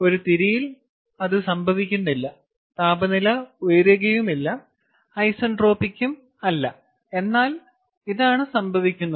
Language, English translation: Malayalam, the temperature does not go up, ah, nor is it isentropic, but this is what is happening